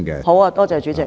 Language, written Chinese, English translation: Cantonese, 好的，多謝主席。, That is fine . Thank you Chairman